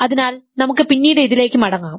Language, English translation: Malayalam, So, you we will come back to this later